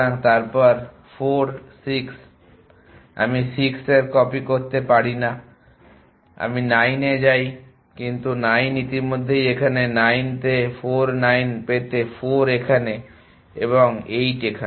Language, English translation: Bengali, And then 4 6 I cannot copies of 6 I go to 9, but 9 already here of 9 go to 4 9 get 4 here and 8 here